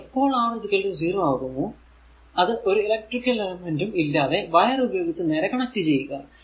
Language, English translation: Malayalam, And when R is equal to 0 just connect it like this without no other electric elements simply wire